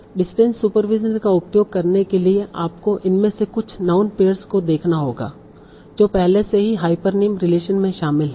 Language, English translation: Hindi, Now to use distance supervision you have to see, okay, some of these non pairs are already involved in hyponym hyponim relation